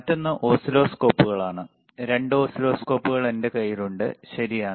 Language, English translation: Malayalam, And another are oscilloscopes, which are 2 on whichere I have my hand on 2 oscilloscopes, all right